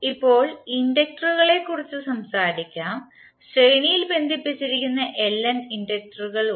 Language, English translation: Malayalam, Now, let us talk about the inductors, suppose the inductors, there are Ln inductors which are connected in series